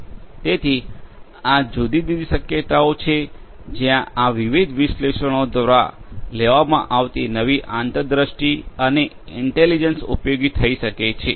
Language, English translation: Gujarati, So, these are the different possibilities where the new insights and intelligence that are derived through these different analytics could be made useful